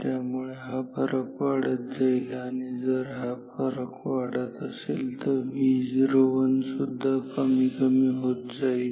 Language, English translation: Marathi, So, this gap will increase and if this gap is increasing then V o 1 will go down further ok